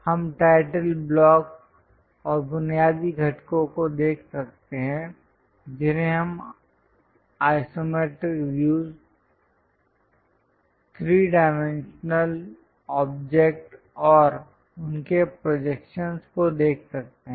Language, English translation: Hindi, we can see the title block and the basic components we can see the isometric views, the three dimensional objects and their projectional views we can see it